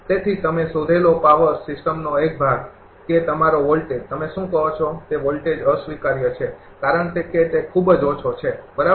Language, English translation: Gujarati, So, part of the power system you find, that your voltage your what you call voltages are unacceptable, because it is very low, right